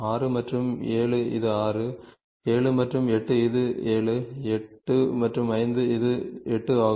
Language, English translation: Tamil, 6 and 7 it is 6, 7 and 8 it is 7, 8, 5 and 5 it is 8 ok